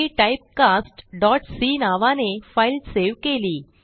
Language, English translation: Marathi, I have saved my file as typecast.c